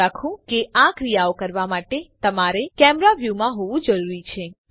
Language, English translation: Gujarati, Do remember that to perform these actions you need to be in camera view